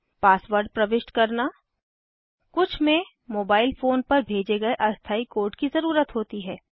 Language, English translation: Hindi, To enter card on account information To enter the pasword some need a temporary code sent to your mobile phone